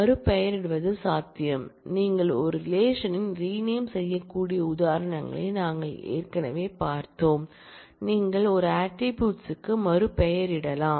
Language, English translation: Tamil, It is possible to rename, we have already seen examples you can rename a relation you can rename an attribute and the style is to use AS